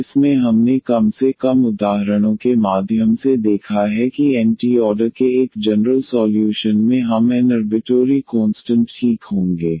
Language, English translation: Hindi, And in that we have seen at least through the examples that a general solution of nth order we will contain n arbitrary constants ok